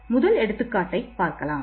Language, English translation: Tamil, So, let us take one example over here first